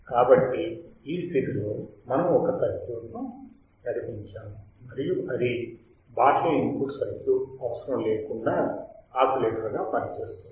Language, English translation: Telugu, So, in this condition, we have driven a circuit and without external input circuit works as an oscillator